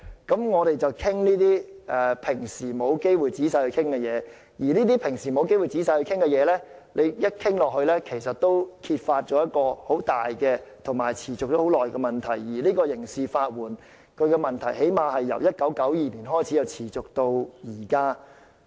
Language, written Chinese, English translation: Cantonese, 當我們討論這些平時沒有機會仔細討論的事情時，在討論過程中其實可以揭發很大和持續已久的問題，而刑事法援這問題最少是由1992年開始持續至今。, When we discuss matters that have no chance of being discussed in detail in normal times big and persistent problems can indeed be exposed during the course of it . And the problem of criminal legal aid has persisted at least since 1992